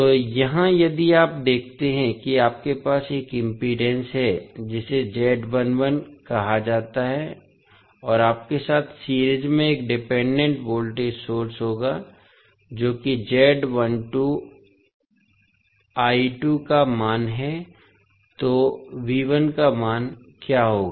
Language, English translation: Hindi, So, here, if you see you have one impedance that is called Z11 and in series with you will have one dependent voltage source that is having the value of Z12 I2, so what would be the value of V1